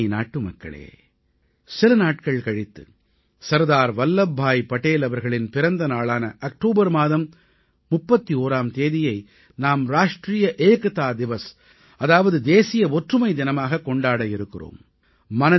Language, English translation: Tamil, In a few days we will celebrate Sardar Vallabh Bhai Patel's birth anniversary, the 31st of October as 'National Unity Day'